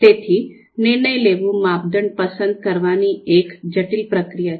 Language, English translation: Gujarati, So decision making is a complex process of selecting criteria